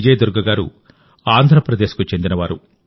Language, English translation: Telugu, Vijay Durga ji is from Andhra Pradesh